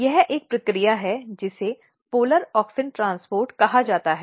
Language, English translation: Hindi, So, there is a process called polar auxin transport